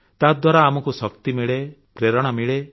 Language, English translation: Odia, That lends us energy and inspiration